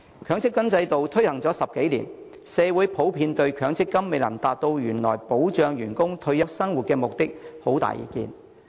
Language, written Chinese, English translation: Cantonese, 強積金制度已推行10多年，社會普遍對強積金未能達到原來保障僱員退休生活的目的，有很大意見。, The MPF System has been implemented for over a decade . There are in general strong views in society about the failure of MPF to achieve the original purpose of protecting employees retirement life